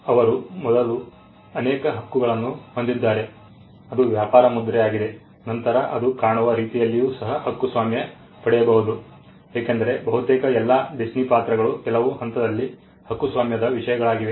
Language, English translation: Kannada, They have multiple Rights first it is a trademark, then the thing can also be copyrighted the way it looks because, almost all Disney characters were at some point subject matters of copyright